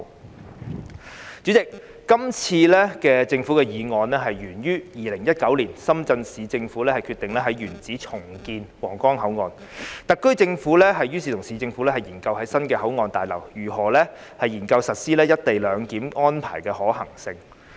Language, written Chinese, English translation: Cantonese, 代理主席，今次的政府議案源於2019年，深圳市政府決定在原址重建皇崗口岸，特區政府於是與市政府研究在新的口岸大樓，研究實施"一地兩檢"安排的可行性。, Deputy President this government motion can be traced back to 2019 when the Shenzhen Municipal Government decided to redevelop the Huanggang Port in - situ . The HKSAR Government then studied the feasibility of implementing co - location arrangement at the new Huanggang Port building with the Shenzhen Municipal Government